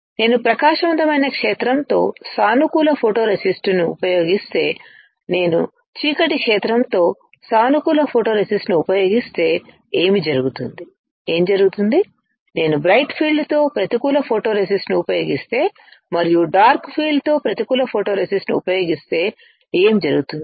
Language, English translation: Telugu, What if I use positive photoresist with bright field, what will happen if I use positive photoresist with dark field, what will happen, if I use negative photoresist with bright field and what will happen if I use negative photoresist with dark field What is prebaking, soft baking hard baking